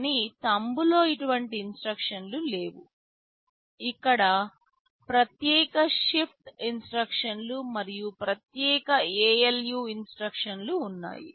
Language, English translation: Telugu, But in Thumb such instructions are not there, here there are separate shift instructions, and there are separate ALU instructions